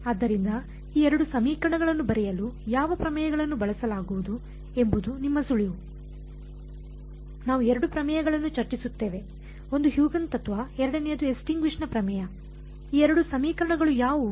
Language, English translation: Kannada, So, your hint is which of the theorems will be used to write down these 2 equations, we will discuss 2 theorems, one was Huygens principal the second was extinction theorem these 2 equations are which ones